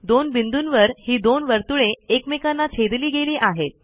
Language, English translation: Marathi, The two circles intersect at two points